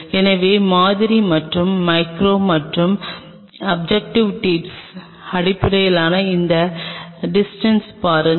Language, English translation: Tamil, So, look at this distance between the sample and the micro and the objective tip